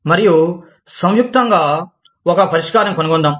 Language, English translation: Telugu, And, let us jointly, find a solution